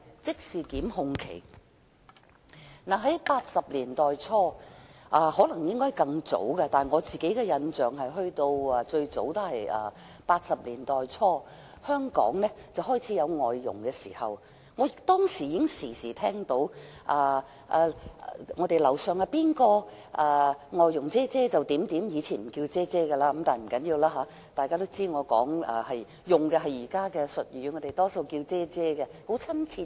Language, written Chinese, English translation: Cantonese, 在1980年代初——或許更早，但我的印象最早是在1980年代初——香港開始有外傭，當時我時常聽到樓上的鄰居說其"外傭姐姐"怎樣——以前不是稱為"姐姐"，但不要緊，大家都知道我用的是現代的字眼，我們多數稱外傭為"姐姐"，很親切。, Foreign domestic helpers started working in Hong Kong in the 1980s or earlier and my impression is that they started working in the early 1980s . Back then I often heard my neighbours upstairs talk about their Sister Maid―they were not greeted as sister back then yet it does not matter for Members should know that I am using the current term . Now we usually call our foreign domestic helpers sisters for it sounds friendlier